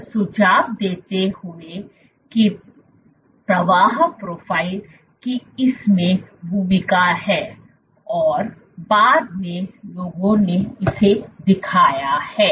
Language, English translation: Hindi, So, suggesting that the flow profile itself has a role to play in this and subsequently people have shown